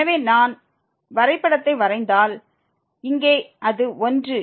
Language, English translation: Tamil, So, if we just draw the graph so, here it is 1